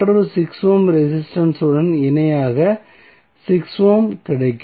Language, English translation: Tamil, You get eventually the 6 ohm in parallel with another 6 ohm resistance